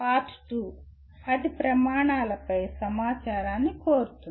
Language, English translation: Telugu, Part 2 seeks information on 10 criteria